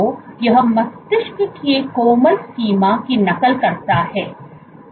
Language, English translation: Hindi, So, it mimics the brain soft range